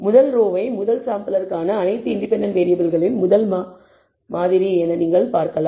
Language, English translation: Tamil, You can view the first row as actually the sample, first sample, of all independent variables for the first sample